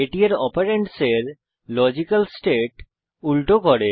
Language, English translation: Bengali, It inverses the logical state of its operand